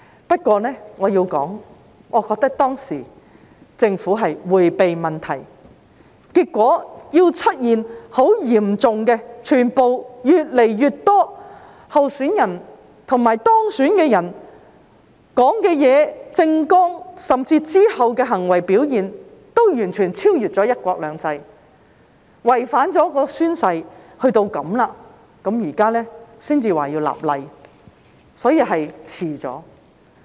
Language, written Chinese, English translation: Cantonese, 不過，我要說的是，我覺得當時政府是在迴避問題，結果出現很嚴重的問題，越來越多候選人及當選人的說話、政綱，甚至其後的行為表現，均完全超越了"一國兩制"，達至違反誓言的地步，現在政府才說要立法，所以已遲了。, However what I want to say is that I think the Government was evading the issue at that time . As a result serious problems emerged as more and more candidates and elected candidates went totally beyond the framework of one country two systems in their words platforms and even subsequent behaviour to the extent of breaching their oaths or affirmations . It is already late now for the Government to say that legislation is needed